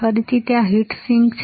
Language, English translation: Gujarati, And again, there is a heat sink